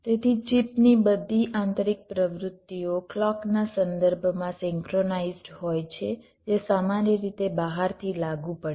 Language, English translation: Gujarati, so all the internal activities of the chips, of the chip, they are synchronized with respect to the clock that is applied from outside